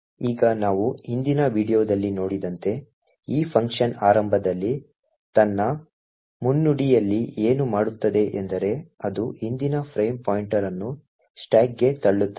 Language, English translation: Kannada, Now as we have seen in the previous video what this function initially does in its preamble is that it pushes into the stack that is the previous frame pointer into the stack